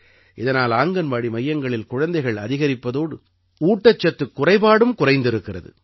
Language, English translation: Tamil, Besides this increase in the attendance of children in Anganwadi centers, malnutrition has also shown a dip